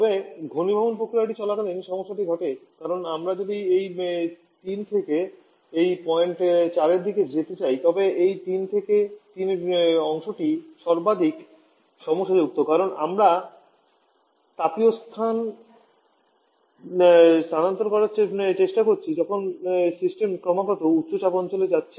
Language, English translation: Bengali, However the problem happens during the condensation process because if we want to move from this 3 Prime towards this point 4 then this 3 Prime to 3 part this part is the most problematic on because here we are trying to have isothermal heat transfer while the system is constantly moving to higher pressure zone